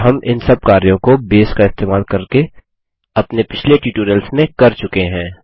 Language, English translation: Hindi, And we have done all of these operations using Base in our previous tutorials